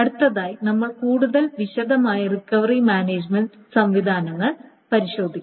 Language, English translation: Malayalam, Next, we will go over the recovery management systems in much more detail